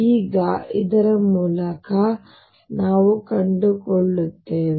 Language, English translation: Kannada, Now through this we find out